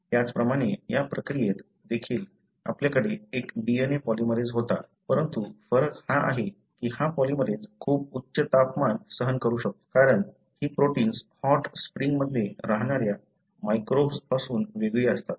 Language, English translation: Marathi, Likewise, also in this reaction, we had a DNA polymerase, but the difference is this polymerase can withstand very high temperature, because these proteins are isolated from microbes that are living in hot springs